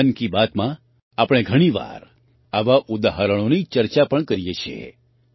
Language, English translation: Gujarati, In 'Mann Ki Baat', we often discuss such examples